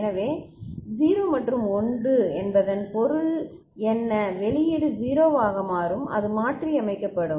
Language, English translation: Tamil, So, 0 and 1 what does it mean the output will become 0; it is reset